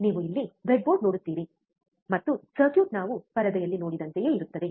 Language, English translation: Kannada, you see the breadboard here, and the circuit is similar to what we have seen in the screen